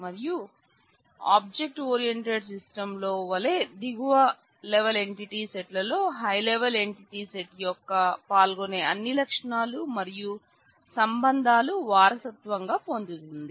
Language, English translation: Telugu, And as in the object oriented system the lower level entity set inherits all the attributes and relationships of participation of the higher level entity set